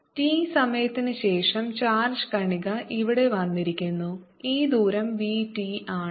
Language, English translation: Malayalam, after time t with charge particle, come here, this distance between v, t and now